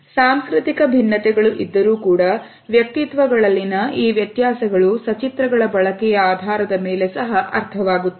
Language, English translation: Kannada, The cultural differences are also there, but these differences in the personalities are also understood on the basis of the use of illustrators